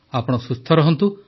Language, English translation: Odia, And you stay healthy